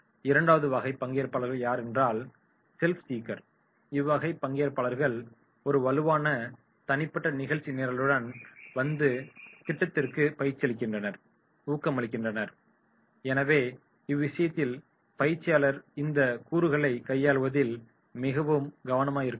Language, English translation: Tamil, Second is self seeker, self seeker participants come with a strong personal agenda and motivates to the program, so therefore in that case the trainer need to be immense careful very much careful in dealing with these elements